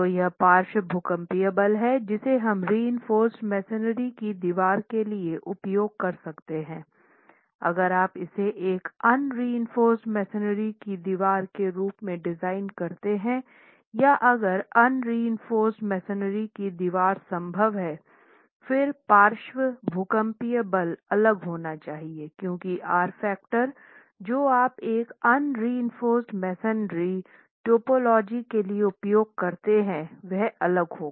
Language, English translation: Hindi, If you were to design this as an unreinforced masonry wall or check if an unreinforced masonry wall is feasible, then the lateral seismic force should be different because the R factor that you would use for an unreinforced masonry typology will be different